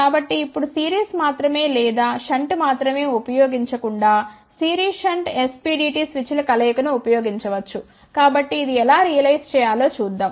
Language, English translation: Telugu, So, now instead of using series only or shunt only one can use the combination of series shunt SPDT switch